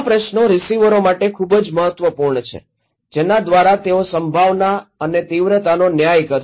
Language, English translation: Gujarati, These questions are very important for the receivers, which we, so, the probability and the severity he would judge